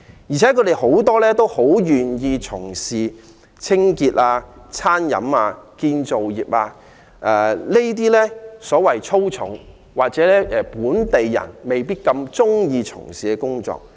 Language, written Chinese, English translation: Cantonese, 而且，他們大多願意做清潔、餐飲、建造業工作，這些所謂"粗重"或本地人未必願意從事的工作。, Moreover the majority of them willingly take up positions in cleaning catering and construction work jobs which are tough and unpopular among the locals